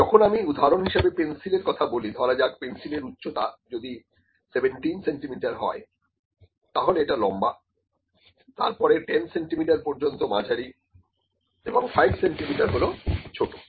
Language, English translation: Bengali, Let me say the height of the pencil if it is 17 centimetres, it is long, then 10 centimetres is medium, 5 centimetres is small